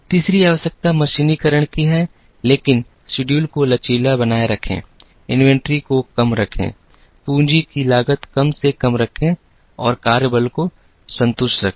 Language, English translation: Hindi, Third requirement is to mechanize, but keep theschedules flexible, keep the inventories low, keep the capital cost minimum and keep the work force contented